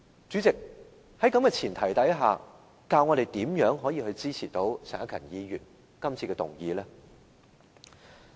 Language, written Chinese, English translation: Cantonese, 主席，在這前提下，教我們如何能夠支持陳克勤議員今次提出的議案？, President under this premise how can we give our support to the motion moved by Mr CHAN Hak - kan today?